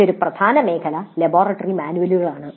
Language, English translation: Malayalam, Then another important area is laboratory manuals